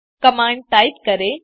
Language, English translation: Hindi, Type the command